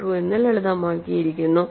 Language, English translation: Malayalam, 1215 which is simplified as 1